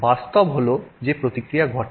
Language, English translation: Bengali, The reality is that reactions occur